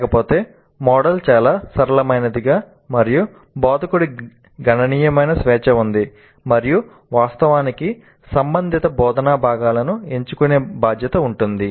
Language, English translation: Telugu, Otherwise the model is quite flexible and instructor has considerable freedom and in fact responsibility to choose relevant instructional components